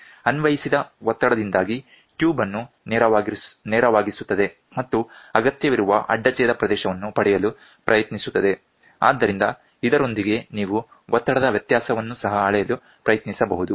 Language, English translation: Kannada, Due to the applied pressure, the tube straightens out and tends to acquire a required cross section area, with this you can also try to measure pressure difference